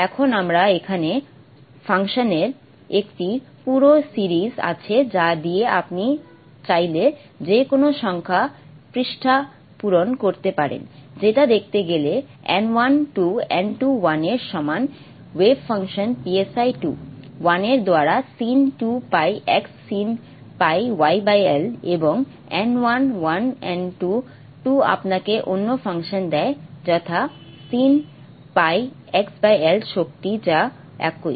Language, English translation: Bengali, Now I have a whole series of functions here with which you can fill up any number of pages if you wish you see that n1 is 2 n2 equal to 1 corresponds to the wave function psi 2 1 with sine 2 pi x sine pi y by l and n1 1 n1 11 1 n2 gives you the other function namely sine pi x by l, sine 2 pi by y by l and the energies are the same